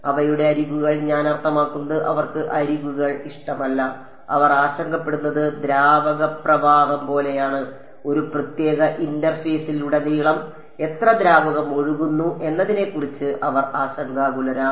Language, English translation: Malayalam, Their edges I mean they do not like edges what they are concerned about is, like fluid flow they are concerned about how much fluid is flowing across a certain interface